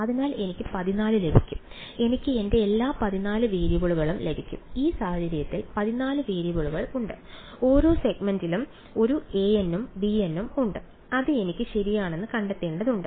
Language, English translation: Malayalam, So, I will get 14; I will get all my 14 variables, there are 14 variables in this case right each segment has a a n and a b n that I need to find out right